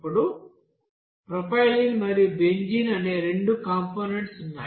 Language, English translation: Telugu, Now there are two components propylene and benzene